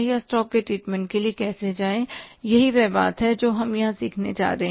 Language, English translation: Hindi, Now how to find it out or how to go for the treatment of the stock that is the point we are going to learn here